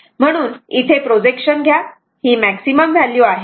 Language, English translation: Marathi, So, take a projection here this is the maximum value